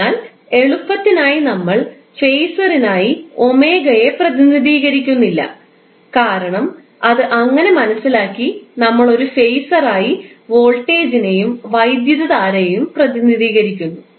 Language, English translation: Malayalam, So, for simplicity what we say, we do not represent omega for the phaser because that is seems to be understood and we simply represent voltage and current as a phaser